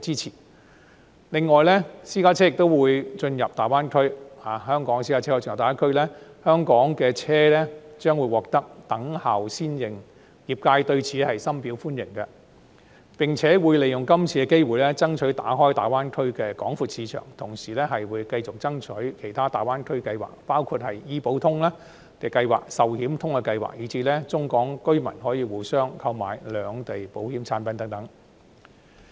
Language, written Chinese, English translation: Cantonese, 此外，香港的私家車亦可進入大灣區，香港車輛將獲得"等效先認"，業界對此深表歡迎，並且會利用是次機會，爭取打開大灣區的廣闊市場，同時繼續爭取其他大灣區計劃，包括醫保通計劃、壽險通計劃，以至中港居民可互相購買兩地保險產品等。, In addition Hong Kong private cars will also be allowed to enter the Greater Bay Area and Hong Kong vehicles will be granted unilateral recognition . The industry greatly welcomes these initiatives and will make use of this opportunity to press for the opening up of a wide market in the Greater Bay Area . At the same time it will continue to strive for other schemes to be rolled out in the Greater Bay Area including Health Insurance Connect Life Insurance Connect and the possibility for Hong Kong and Mainland residents to purchase insurance products from each others sides